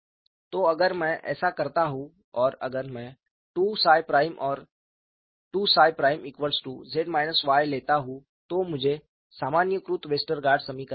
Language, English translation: Hindi, So, if I do this and if I take 2 psi prime equal to capital Z minus Y, I get the generalised Westergaard equations